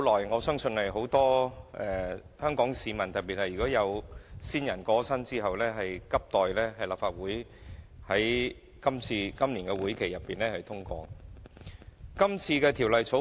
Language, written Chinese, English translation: Cantonese, 我相信這是很多香港市民，特別是有親人過身的市民等待已久，希望立法會在今個會期內盡快通過的《條例草案》。, I believe that many Hong Kong people especially those who have recently lost their beloved ones are eager to see the expeditious passage of this long - awaited Bill by the Legislative Council in this current session